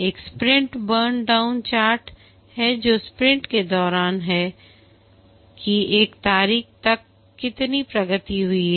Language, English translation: Hindi, One is the sprint burn down chart which is during a sprint, how much progress has been achieved till a date